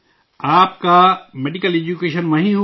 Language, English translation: Urdu, Your medical education took place there